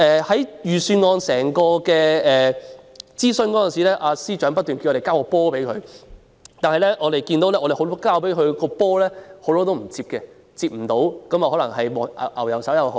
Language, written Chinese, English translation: Cantonese, 在預算案諮詢過程中，司長不斷叫我們"交波"，我們交了很多"波"給他，但他沒有接或接不到，可能是"牛油手"。, During the Budget consultation process the Financial Secretary kept asking us to pass him the ball but we noticed that he had not caught or had failed to catch a lot of balls passed to him probably because of butterfingers